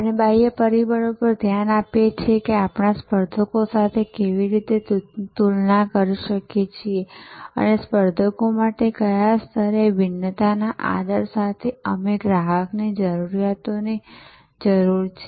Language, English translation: Gujarati, And we look at external factors that how do we compare with competitors and how we need customer needs at what level with what differential respect to competitors